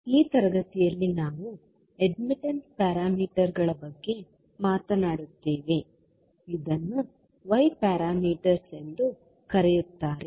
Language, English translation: Kannada, So in this class we will talk about admittance parameters which are also called as Y parameters